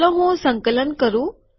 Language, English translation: Gujarati, Let me compile